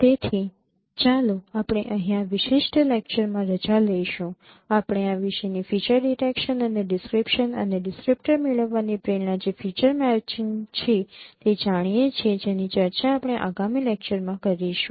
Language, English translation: Gujarati, We will continue this discussion of no feature detection and description and the motivations for obtaining the descriptor that is feature matching that we will be discussing in the next lectures